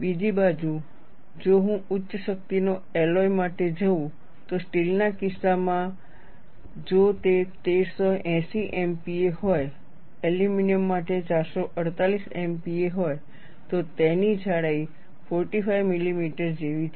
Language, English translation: Gujarati, On the other hand, if I go for high strength alloys, in the case of steel, if it is 1380 MPa, 448 MPa for aluminum, the thickness is like 45 millimeter; so almost two thirds of it